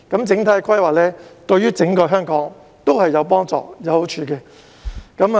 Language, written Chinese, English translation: Cantonese, 整體規劃對整個香港都有幫助、有好處。, Holistic planning will help and benefit Hong Kong as a whole